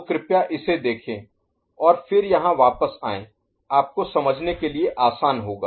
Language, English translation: Hindi, So, please refer to that and then come back, here it will be easier for you to follow